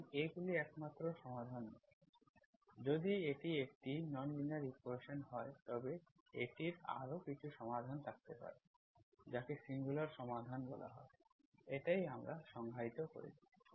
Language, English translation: Bengali, And these are not the only solutions, if it is a non linear equation, it can have some other solutions, that is called singular solutions, that is also what we defined